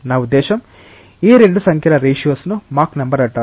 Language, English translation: Telugu, I mean ratios of these 2 numbers is known as mach number